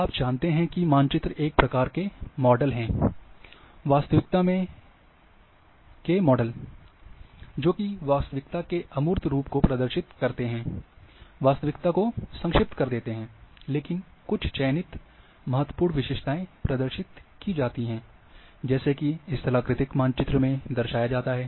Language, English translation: Hindi, Now, you know that maps are maps are one type of models, or models of reality which are representing the abstract form of reality, reduce reality, only selected important features are represented in a map, like topographic map